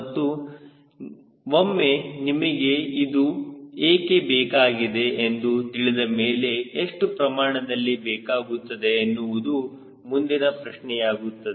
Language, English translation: Kannada, and once you know why do you need, the next question is how much we need who decides